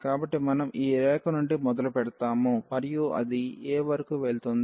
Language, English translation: Telugu, So, we starts from this line and it goes up to a